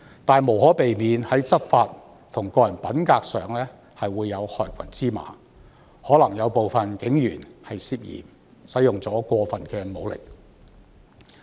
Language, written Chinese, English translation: Cantonese, 然而，在執法和個人品格方面，無可避免會有害群之馬，有部分警員可能涉嫌使用過分武力。, Nonetheless in respect of law enforcement and personal integrity there is inevitably some black sheep and some police officers may be suspected of using excessive force